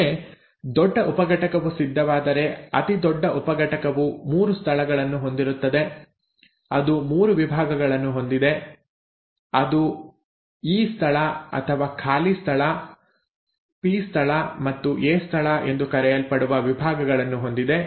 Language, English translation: Kannada, Now once the large subunit arranges the largest subunit has 3 sites, it has 3 sections; it has a section which is called as the E site or the “empty site”, the P site and the A site